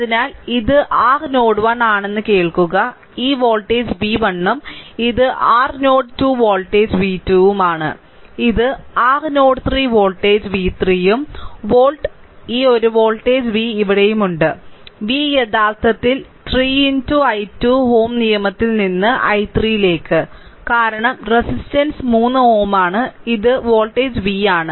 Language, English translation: Malayalam, So, listen this is your node 1 this voltage is v 1 right and this is your node 2 voltage is v 2, this is your node 3 voltage is v 3 and volt this one voltage v is here, v actually is equal to 3 into i 3 from Ohms law, because the resistance is 3 ohm this voltage is v right